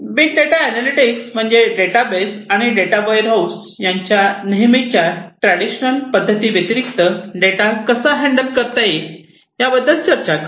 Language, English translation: Marathi, Big data analytics talks about a different way of handling data from the conventional way, data are handled in databases and data warehouses